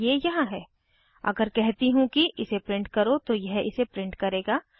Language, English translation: Hindi, In this now if I say print it will go out and print it